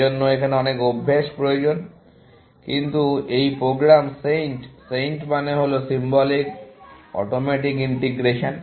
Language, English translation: Bengali, That is why, this needs a lot of practice, but what this program SAINT; SAINT stands for Symbolic Automatic Integration